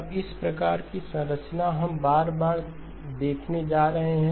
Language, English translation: Hindi, Now this type of structure, we are going to see again and again and again